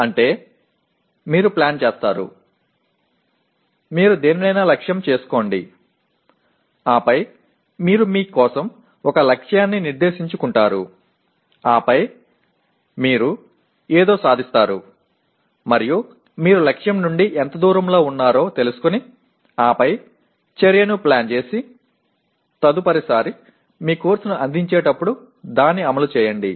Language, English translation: Telugu, That means you plan, you aim at something and then you set a target for yourself and then you attain something and you find out how far you are from the target and then plan action and implement it next time you offer the course